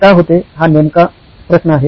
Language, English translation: Marathi, The question why this happens